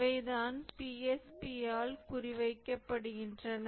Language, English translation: Tamil, So, these are the ones that are targeted by the PSP